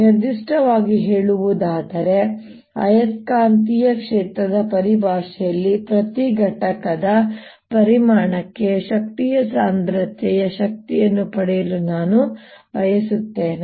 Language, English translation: Kannada, in particular, i want to get the energy density, energy per unit volume in terms of magnetic field